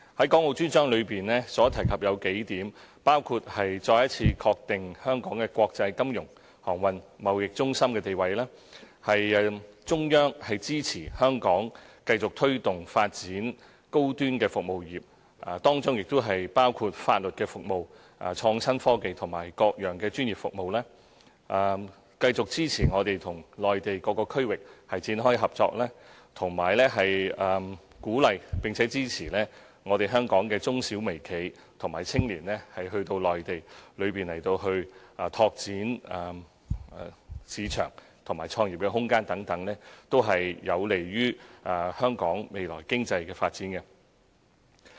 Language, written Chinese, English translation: Cantonese, 《港澳專章》提及數點，包括再一次確定香港的國際金融、航運、貿易中心地位；中央支持香港繼續推動和發展高端服務業，當中包括法律服務、創新科技和各樣專業服務；繼續支持我們與內地各個區域展開合作，以及鼓勵並支持香港的中小微企和青年到內地拓展市場和創業空間等，這些均有利香港未來的經濟發展。, A few points were mentioned in the Dedicated Chapter including reaffirmation of Hong Kongs status as an international financial transportation and trade centre; Central Authorities support for Hong Kongs continuous promotion and development of high - end service industries including legal services innovation and technology and various kinds of professional services; continuous support for us to commence cooperation with various regions on the Mainland and encouraging and supporting micro small and medium enterprises as well as young people in Hong Kong to go to the Mainland to tap the market and explore the room for starting businesses . All of these are conducive to Hong Kongs future economic development